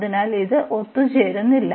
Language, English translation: Malayalam, So, this is not convergent